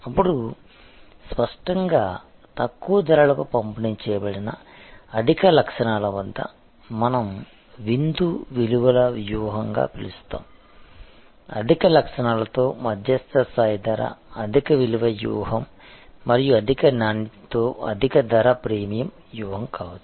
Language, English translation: Telugu, Then; obviously, if the, at high qualities delivered at low price that we can call the supper values strategy, a medium level pricing with high qualities, high value strategy and high price with high quality could be the premium strategy